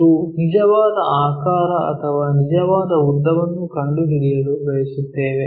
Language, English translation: Kannada, And the true shape or true length we would like to find